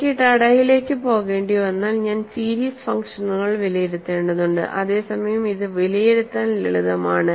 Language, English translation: Malayalam, If I have to go to Tada, I have to evaluate a serious functions, whereas this is simpler to evaluate